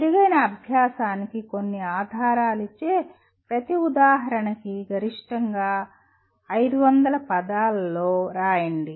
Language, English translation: Telugu, Write maximum 500 words for each example giving some evidence of better learning